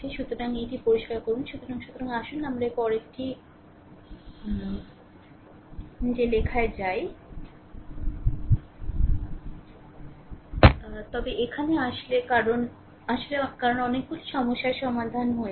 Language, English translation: Bengali, So, let me clear it so let us go to the next one or directly I am writing, then here actually because we have solved so, many problems